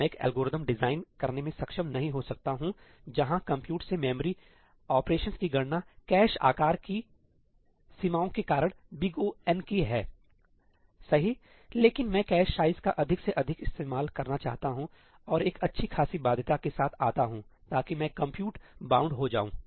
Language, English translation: Hindi, I may not be able to design an algorithm where the compute to memory operation is of the order of n because of the limitations of the cache size , but I want to reuse the cache size as much as possible and come up with a good enough bound so that I am compute bound